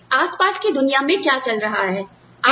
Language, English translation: Hindi, What is going on, in the world around you